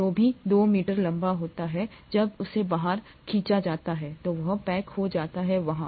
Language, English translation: Hindi, Whatever is 2 metres long when stretched out, gets packaged there